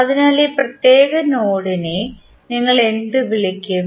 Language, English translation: Malayalam, So, what we will call this particular node